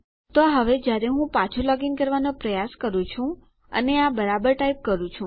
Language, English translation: Gujarati, So now when I try to log back in and let me type this properly